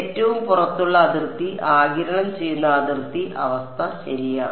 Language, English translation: Malayalam, Outermost boundary absorbing boundary condition ok